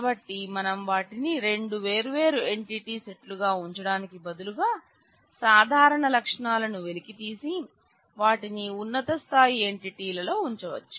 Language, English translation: Telugu, So, you could choose that well you instead of having them as two separate entity sets, you could extract out the common attributes and put them at a higher level entity